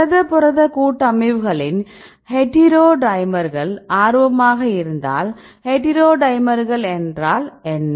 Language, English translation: Tamil, For example if you are interested in protein protein complexes, which specifically on the heterodimers right; what is heterodimers